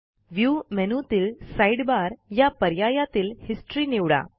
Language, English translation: Marathi, Click on View and Sidebar and then click on History